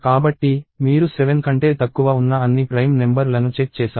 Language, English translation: Telugu, So, you have checked all the prime numbers that are less than 7